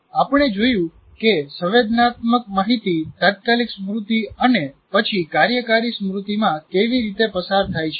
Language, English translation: Gujarati, And there we looked at how does the sensory information passes on to immediate memory and then working memory